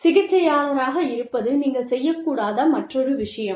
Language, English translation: Tamil, Playing therapist is another thing, that you should not do